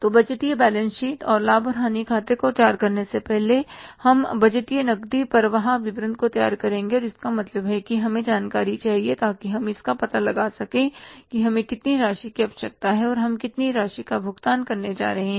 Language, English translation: Hindi, So, before preparing the budgeted balance sheet and the profit and loss account we will prepare the budgeted cash flow statement and means that information we require so that you can find out that how much amount is required and how much amount we are going to make the payment for